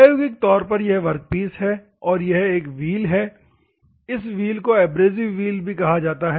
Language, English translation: Hindi, Practically is this is the workpiece and this is a wheel, this is the wheel which is called as an abrasive wheel also